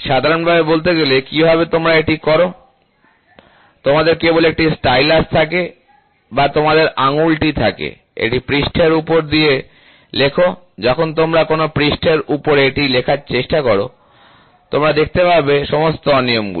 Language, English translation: Bengali, Generally speaking, in a roughness how do you do it, you just have a stylus or you just have your finger, scribe it over the surface, when you try to scribe it over a surface then, you see what are all the irregularities